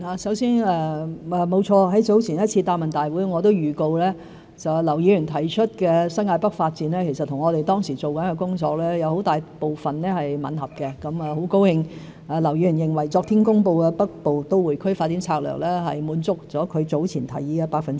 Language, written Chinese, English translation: Cantonese, 首先，沒錯，在早前一次答問會，我預告劉議員提出的新界北發展，其實和我們當時正在做的工作有很大部分吻合，很高興劉議員認為昨天公布的《北部都會區發展策略》百分百滿足了他早前提出的建議。, First of all regarding the development of New Territories North I did reveal in the last Question and Answer Session that we were working largely in line with Mr LAUs proposals . Therefore I am glad to know that Mr LAU considers the Northern Metropolis Development Strategy announced yesterday as fully in line with his proposals . What we have to do right now is to put the plan into implementation